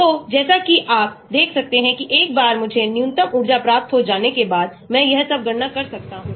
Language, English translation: Hindi, So, as you can see once I get the minimum energy conformation, I can calculate all this